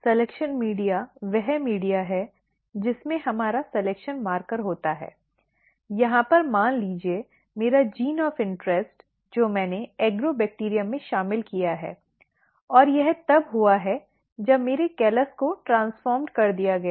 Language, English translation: Hindi, Selection media is the media which contains our selection marker; over here suppose my gene of interest which I have included in the Agrobacterium and it has been if my callus has been transformed